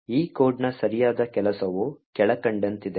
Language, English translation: Kannada, The right working of this code is as follows